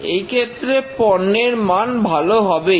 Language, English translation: Bengali, In that case, the products are bound to be good